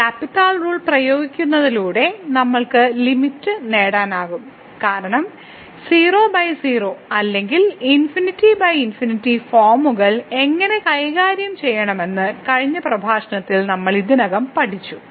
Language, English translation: Malayalam, So, applying the L’Hospital rule we can get the limit because we have already learnt in the last lecture how to deal search forms 0 by 0 or infinity by infinity